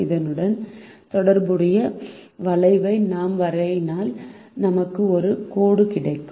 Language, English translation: Tamil, if we draw the, the cover associated with this, we would get a line